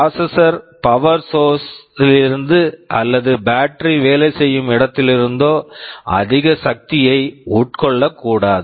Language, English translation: Tamil, The processor must not consume too much energy from the power source or from the battery wherever it is working